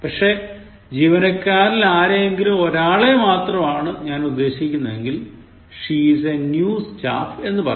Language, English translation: Malayalam, But, if I refer to one of the staff, I would say she is a new staff indicating that she is one of the staff